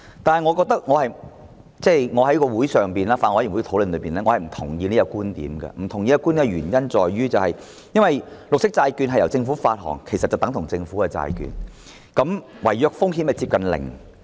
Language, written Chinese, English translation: Cantonese, 但是，我在法案委員會會議席上進行討論時，我並不認同這個觀點，因為綠色債券是由政府發行的，其實等同政府債券，違約的風險接近零。, I have expressed disagreement to this approach at Subcommittee meetings because green bonds issued by the Government are in fact equivalent to government bonds the default risk of which is next to zero